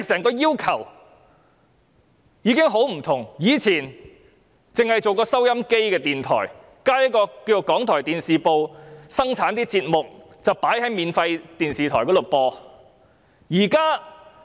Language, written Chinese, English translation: Cantonese, 過往，港台只是播放電台節目的電台，只有電視部製作的節目會在免費電視台上播放。, In the past RTHK was merely a radio station that aired radio programmes and only the programmes produced by its Television Unit would be broadcast on free television channels